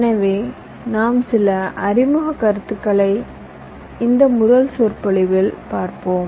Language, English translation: Tamil, so this first lecture you shall be looking at some of the introductory topics